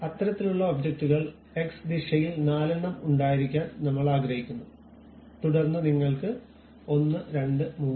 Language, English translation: Malayalam, Such kind of objects we would like to have four in number in the X direction, then you can see 1 2 3 4